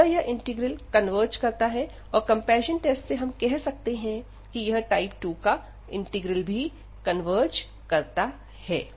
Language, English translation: Hindi, So, this integral converges, we have seen from the comparison tests that this integral of type 2 converges